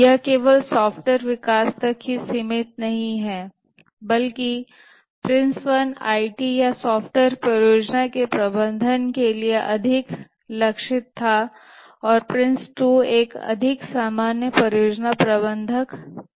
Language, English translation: Hindi, This is not restricted to only software development, but the Prince one was more targeted to the IT or software project management and Prince 2 is become a more generic project management standard